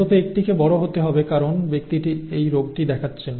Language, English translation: Bengali, at least one has to be capital because the person is showing the disease